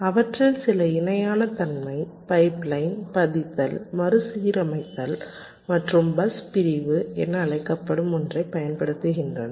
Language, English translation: Tamil, some of them use parallelism, pipe lining, retiming and something called bus segmentation